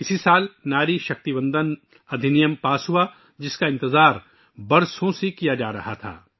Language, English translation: Urdu, In this very year, 'Nari Shakti Vandan Act', which has been awaited for years was passed